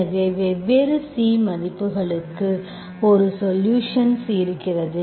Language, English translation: Tamil, So for different C value, you have a solution, okay